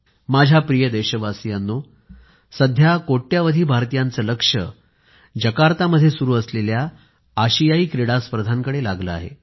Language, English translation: Marathi, The attention of crores of Indians is focused on the Asian Games being held in Jakarta